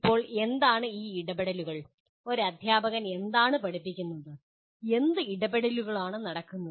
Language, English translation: Malayalam, Now what are these interventions, what does a teacher does the teaching, what do the interventions take place